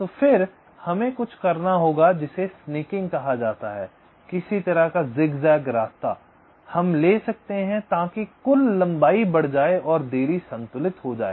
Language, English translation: Hindi, so then we may have to do something called snaking, some kind of zig zag kind of a path we may take so that the total length increases and the delay gets balanced